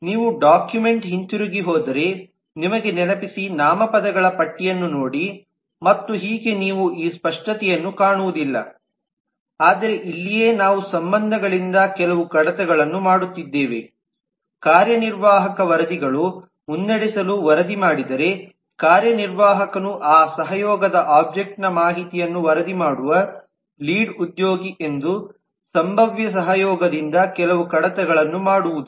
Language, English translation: Kannada, remind you if you go back to the document look at a list of nouns and so on you will not find this explicit, but this is where we are making certain deductions from the relationships, making certain deductions from the possible collaboration that if executive reports to lead then executive will have to keep the information of that collaboration object which is a reporting lead